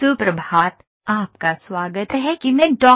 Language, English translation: Hindi, Good morning, welcome back to the course I am Dr